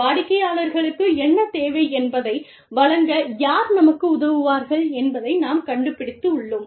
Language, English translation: Tamil, And, we find out, who can give them, who can help us give the clients, what they need